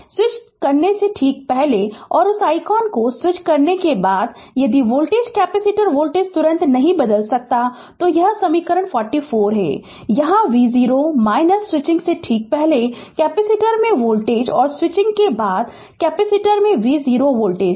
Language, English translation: Hindi, Just your before switching and after switching that I can if voltage ah capacitor voltage cannot change instantaneously, so this is equation 44, where v 0 minus voltage across capacitor just before switching, and v 0 plus voltage across capacitor just after switching right